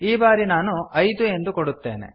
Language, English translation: Kannada, I will give 5 this time